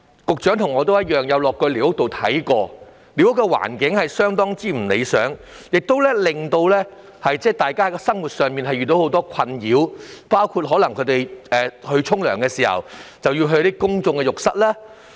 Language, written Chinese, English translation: Cantonese, 局長和我均曾前往寮屋區視察，知道寮屋環境極不理想，居民在生活上遇到很多困擾，包括洗澡時要使用公眾浴室。, The Secretary and I have paid visits to squatter areas and we both know that the living environment of those places is extremely undesirable where the dwellers have to face a lot of difficulties in their daily lives including that they have to go to the public baths for taking showers